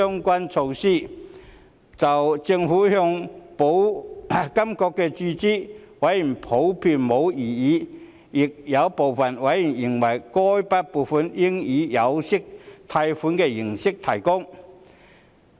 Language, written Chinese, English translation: Cantonese, 委員普遍對政府向保監局注資沒有異議，但亦有部分委員認為該筆撥款應以有息貸款的形式提供。, While members in general had no objection to the provision of a capital injection to the Insurance Authority by the Administration some members considered that the funding should be made in the form of an interest - bearing loan